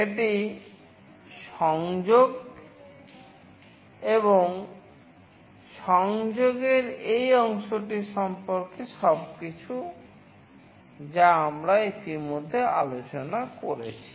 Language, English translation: Bengali, This is all about the connection and this part of the connection we already discussed earlier